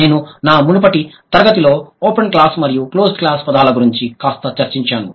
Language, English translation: Telugu, I did discuss a bit about open class and closed class words in my previous class